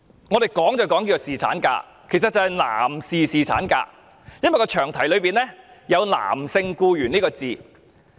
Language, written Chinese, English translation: Cantonese, 我們說的是侍產假，其實是男士侍產假，因為詳題內有男性僱員這個字眼。, The paternity leave that we discussed was actually the paternity leave for a male employee as male employee is actually mentioned in the long title